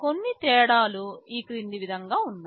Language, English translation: Telugu, Some of the differences are as follows